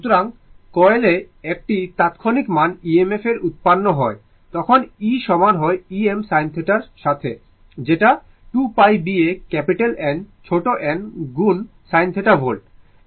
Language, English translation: Bengali, So, and instantaneous value of EMF generated in the coil will be then e is equal to E m sin theta right is equal to 2 pi B A capital N small n into sin theta volts, right